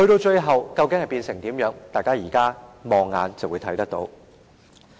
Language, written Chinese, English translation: Cantonese, 最後會變成怎樣，大家現時放眼細看，便會知道。, What will happen in the end? . We will know the answer if we take a closer look now